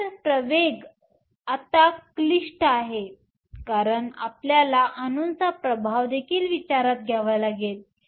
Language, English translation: Marathi, So, the acceleration now is complicated because you also have to take into account the effect of the atoms